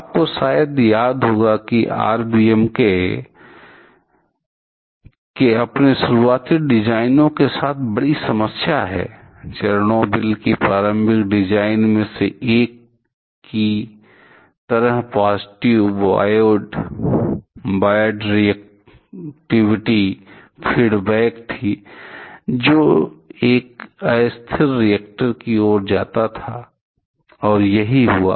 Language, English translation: Hindi, You probably remember that RBMK reactors one big problem with their initial designs; like the one in Chernobyl that initial design, they had the problem of positive void reactivity feedback, which leads to an unstable reactor and that is what happened